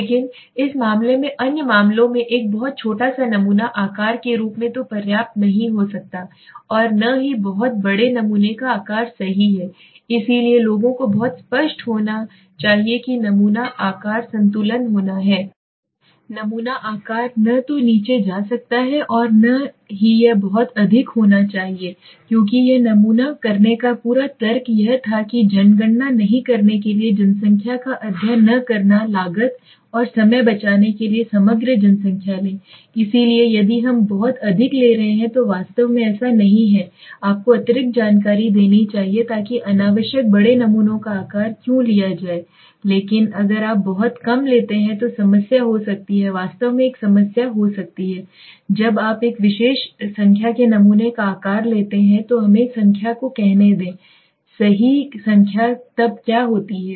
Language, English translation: Hindi, But in a case in other cases a very small sample size as so might not be adequate neither a very large sample size right, so people have to be very clear that there has to be a balance right so sample size sample size neither can go to down nor it should be extremely high because the whole logic of doing a sample was to not to do a population right not to do a census study not to take the overall population to save cost and time, so if we are taking too many actually does not give you additional information so why taken unnecessary large samples size it does not make sense, but if you take too less there could be a problem there could be a problem that actually what happens is when you take a particular number of sample size let us say the number if it is right number then what happens